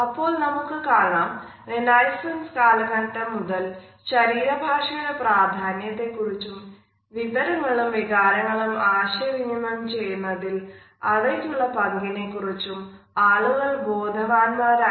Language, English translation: Malayalam, So, we can see that as early as the renaissance time people were aware of the significance of body language and what exactly was their role in communicating ideas, information and emotions to others